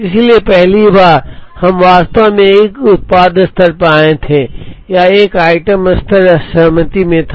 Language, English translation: Hindi, So, the first time we actually came at a product level or an item level was in disaggregation